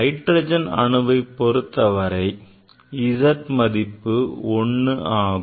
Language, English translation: Tamil, For hydrogen it is a Z equal to 1